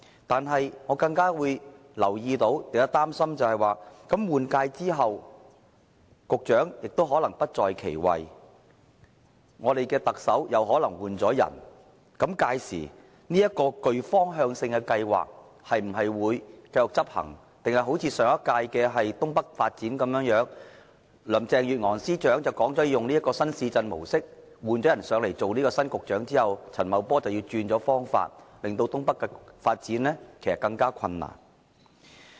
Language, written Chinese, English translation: Cantonese, 但是，我更加擔心的是，局長在換屆後可能已不在其位，特首亦可能已經換人，屆時這個具方向性的計劃會否繼續執行，抑或好像上屆政府制訂的新界東北發展計劃，林鄭月娥司長說會採用新市鎮模式，但新局長陳茂波上任後，卻改變發展方法，令新界東北的發展更加困難？, However I am more worried that in the new term of office the Secretary may no longer hold his post and the Chief Executive may also be replaced . Will this directional proposal continue to be carried out then? . Or will it be similar to the Northeast New Territories development project formulated by the last - term Government which according to Chief Secretary for Administration Carrie LAM would adopt the new town development approach but after the new Secretary Paul CHAN had assumed office the approach of development was changed making the development of Northeast New Territories even more difficult?